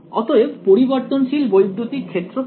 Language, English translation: Bengali, So, what is the variable electric field